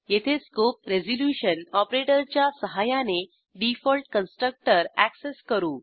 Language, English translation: Marathi, Here we access the default constructor using the scope resolution operator